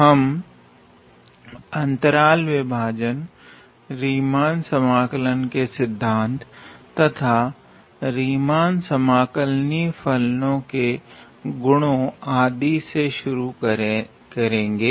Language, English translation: Hindi, So, we will first start with the partition, and concepts of Riemann integral, and properties of Riemann integrable functions and so on